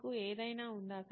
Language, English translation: Telugu, You have something